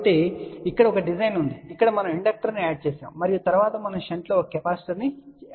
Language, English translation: Telugu, So, here is the design one where we are added a inductor and then we had a added a capacitor in shunt